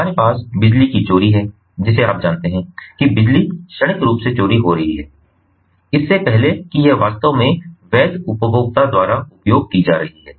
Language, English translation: Hindi, we have theft of electricity, you know, electricity being stored, stolen, while in transient, before it is actually being used by the legitimate consumer